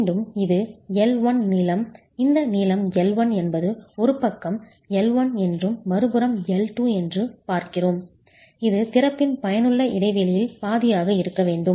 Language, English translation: Tamil, And again, this is a prescription that the length L1, this length L1 that we are looking at, L1 on one side and L2 on the other, should at least be half of the effective span of the opening itself